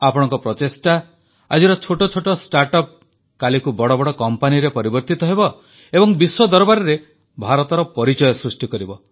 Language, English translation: Odia, Your efforts as today's small startups will transform into big companies tomorrow and become mark of India in the world